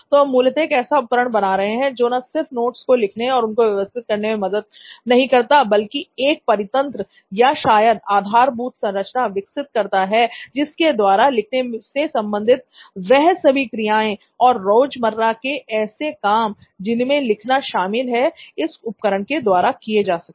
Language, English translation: Hindi, So what we are trying to do is not just build a device which helps writing and organization of notes but also creates an ecosystem, probably an infrastructure where all these activities associated with writing and also daily activities which include writing can be done through this device